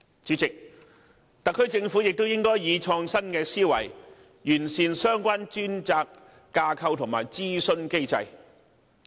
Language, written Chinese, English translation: Cantonese, 主席，特區政府亦應以創新思維，完善相關專責架構及諮詢機制。, President the SAR Government should also be creative in improving the relevant dedicated bodies and consultation mechanism